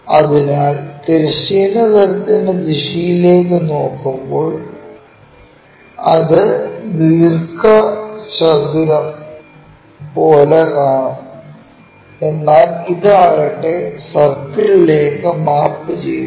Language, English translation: Malayalam, So, when we are looking in that direction horizontal plane rotate it we will see it like it rectangle and this one maps to a circle in that way